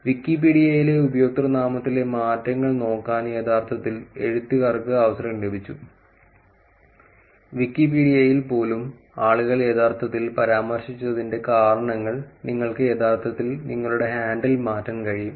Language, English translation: Malayalam, Authors actually got a chance to look at the username changes in Wikipedia and these are the reasons that people had actually mentioned even in Wikipedia you could actually change your handle